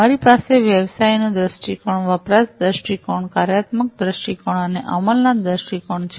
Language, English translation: Gujarati, So, we have the business viewpoint, usage viewpoint, functional viewpoint and the implementation viewpoint